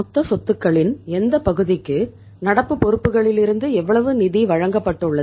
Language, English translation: Tamil, How much what part of the total assets has been financed from the current liabilities